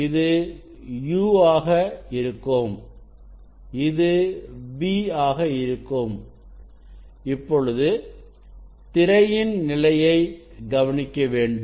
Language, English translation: Tamil, this will be u, and this will be v and this also I have to note down the position of the screen